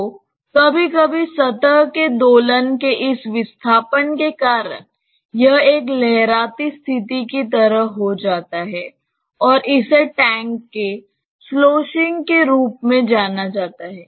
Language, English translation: Hindi, So, sometimes because of this displacement of surface oscillates, it becomes like a wavy situation and that is known as sloshing of tanks